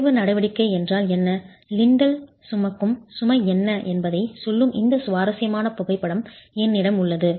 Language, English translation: Tamil, I have this very interesting photograph that tells you what is arching action and what is the load that the lintel will carry